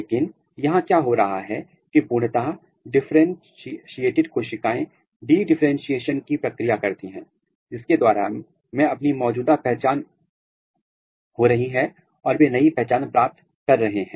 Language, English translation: Hindi, But, here what is happening that at fully differentiated cells they are undergoing the process of de differentiation, through which they are losing their existing identity and they are acquiring new identity